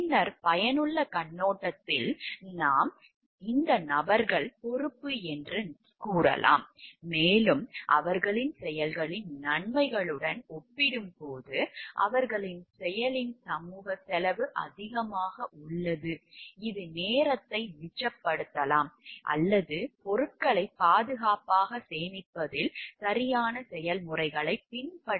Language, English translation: Tamil, Then from the utilitarian perspective, we can say like yes these people are responsible, and it is the cost is much more cost the social cost of their action is much more as compared to the benefits of their action that is maybe time saved or money saved by not followed the proper processes of storing things safe processes